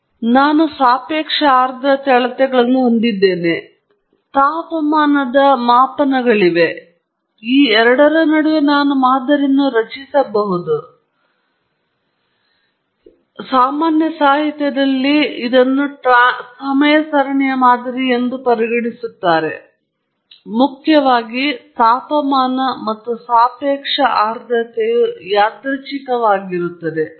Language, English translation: Kannada, So, I have the relative humidity measurements, I have the temperature measurements and I can build a model between these two; that still counts as a time series model in the general literature, primarily because both the temperature and the relative humidity are random in nature